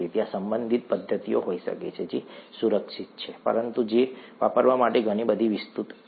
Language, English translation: Gujarati, There could be related methods that are safer, but which are a lot more elaborate to use